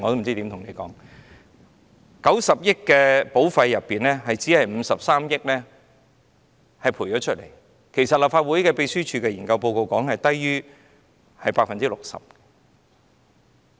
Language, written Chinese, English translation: Cantonese, 在90億元的保費中，只賠償了53億元，立法會秘書處的研究報告指出數字是低於 60%。, Now from the 9 billion of premiums only 5.3 billion were drawn to pay insurance claims and the research report by the Legislative Council Secretariat pointed out that the number was lower than 60 %